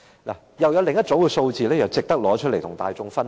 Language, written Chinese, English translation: Cantonese, 我又有另一組數字想提出來跟大家分享。, I have another set of numbers which I would also like to share with Members